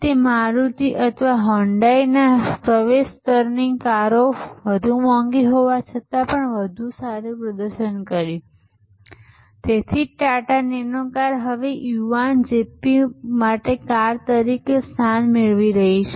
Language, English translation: Gujarati, Though it was more expensive, the entry level cars of Maruti or Hyundai did much better, even though they were more expensive and that is why the Tata Nano car is now getting reposition as a car for the young zippy car